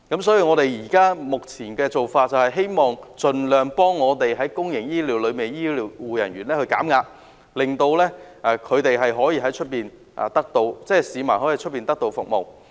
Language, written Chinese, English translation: Cantonese, 所以，我們目前的目標，就是盡量幫助公營醫療系統的醫護人員減壓，令市民可以得到外來的服務。, Therefore our current goal is to help health care personnel in the public health care system to reduce their stress as far as possible and the public to obtain services from external sources